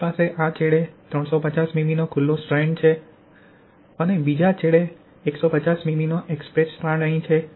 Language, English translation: Gujarati, We have this 350 mm exposed strand at this end and 150 mm exposed strand at the other end